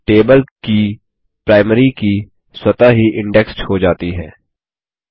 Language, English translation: Hindi, The primary key of a table is automatically indexed